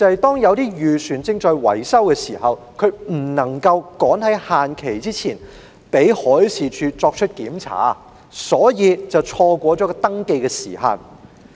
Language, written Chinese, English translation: Cantonese, 當一些漁船正在維修時，無法趕在限期前讓海事處檢查，所以便錯過了登記時限。, Fishing vessels which underwent repair and could not be inspected by the Marine Department by the deadline would miss the cut - off date for registration